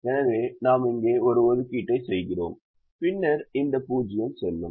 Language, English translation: Tamil, so we make an assignment here and then this zero will go, so this zero will go